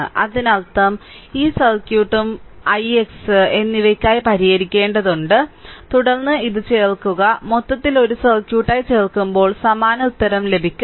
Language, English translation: Malayalam, So, that means, this circuit and that circuit you have to solve for i x dash and i x double dash, then you add it up and as a whole you add as a circuit you will get the same answer right